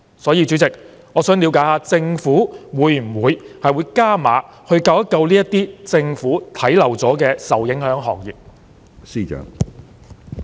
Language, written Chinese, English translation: Cantonese, 因此，主席，我想了解政府會否加碼，拯救這些被政府忽略的受影響行業？, Therefore President I would like to know whether the Government will increase the allocation to rescue the affected industries that have been overlooked